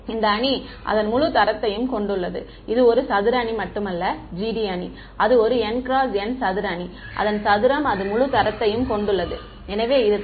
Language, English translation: Tamil, And, this G D matrix it has full rank it is a square matrix n by n not only its square it also has full rank therefore, it is invertible